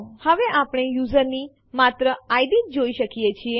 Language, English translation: Gujarati, Now we can see only the ids of the users